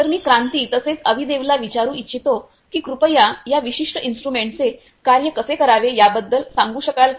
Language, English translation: Marathi, So, I would like to ask Kranti as well as Avidev could you please explain about this particular instrument how it works